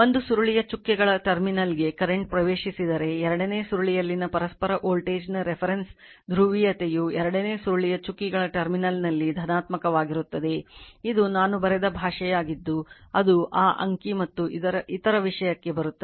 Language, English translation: Kannada, If a current enters the dotted terminal of one coil , the reference polarity of the mutual voltage right in the second coil is positive at the dotted terminal of the second coil